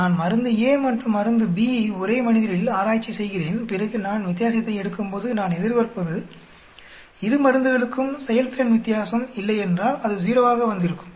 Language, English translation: Tamil, I am testing drug A and B on the same subject and then when I take a difference, I expect if there is no difference on the performance of the drug it should come out to be 0